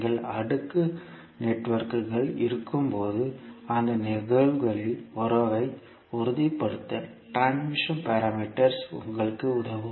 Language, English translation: Tamil, So the transmission parameters will help you to stabilise the relationship in those cases when you have cascaded networks